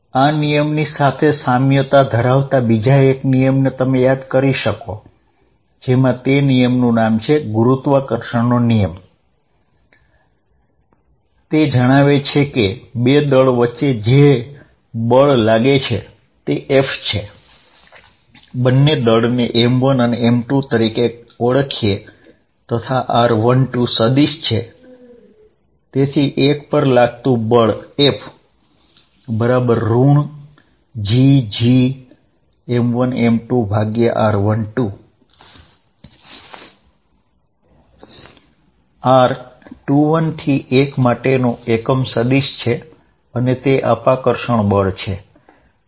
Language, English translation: Gujarati, You recall that there is a similar law, one goes off and that is Gravitational law and what does that say, that says that the force between two masses F, let us say the masses are m 1 and m 2 and this is r 1 2 vector, then F on 1 is going to be equal to minus G m 1 m 2 over r 1 2 square r from 2 to 1 unit vector, this is always repulsive